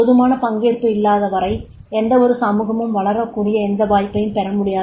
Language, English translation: Tamil, Unless and until there is not enough participation then there will not be the any chance that is the any society will grow